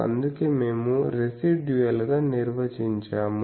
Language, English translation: Telugu, And so we define as a residual